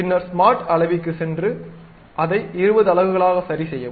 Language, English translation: Tamil, Then go to smart dimension, adjust it to some 20 units